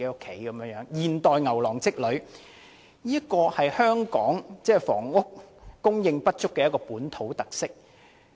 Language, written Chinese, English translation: Cantonese, 這是現代牛郎織女的故事，是香港房屋供應不足的一項本土特色。, This is the modern version of the story of the Weaver Girl and the Cowherd a local feature of inadequate housing supply in Hong Kong